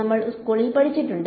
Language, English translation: Malayalam, We have studied in school